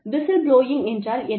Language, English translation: Tamil, What is whistleblowing